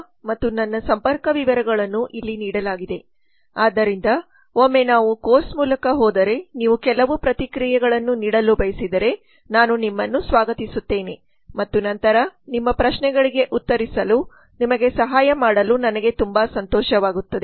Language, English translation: Kannada, Biplab Datta and my contacts are given here so that once you view in the slides once you go through this session you can send me a new feedback that you have and I will be happy to respond to them